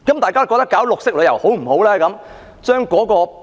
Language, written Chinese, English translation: Cantonese, 大家認為推行綠色旅遊如何？, What do you think of promoting green tourism?